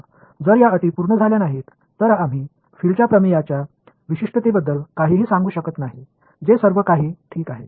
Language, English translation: Marathi, So, if these conditions are not satisfied then we cannot make any statement about the uniqueness of the theorem of the fields that is all there is ok